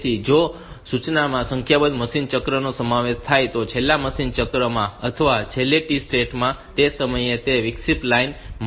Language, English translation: Gujarati, So, if one instruction will consist of a number of machine cycles in the last machine cycle last T state last clock state at that point it takes for the interrupt line